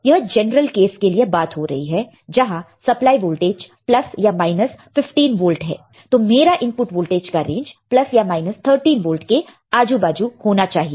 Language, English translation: Hindi, This is in general we are talking about in general if I apply plus minus 15 my input voltage range should be around plus minus 13 volts